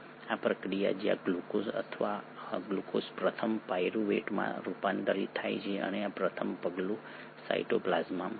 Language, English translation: Gujarati, This process where the glucose first gets converted to pyruvate and this first step happens in the cytoplasm